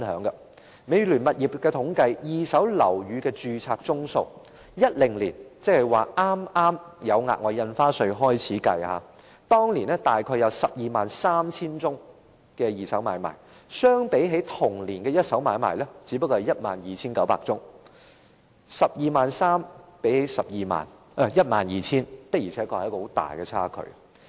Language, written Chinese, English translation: Cantonese, 根據美聯物業統計的二手樓宇買賣註冊宗數，在2010年剛推出額外印花稅時，二手買賣約有 123,000 宗，相比同年的一手買賣只有 12,900 宗 ；123,000 宗與 12,900 宗的差距確實很大。, According to the statistics compiled by Midland Realty about 123 000 secondary properties transactions were registered in 2010 when SSD was first introduced while the number of primary properties transactions registered in the same year stood at 12 900 . As we can see there is indeed a huge difference between 123 000 and 12 900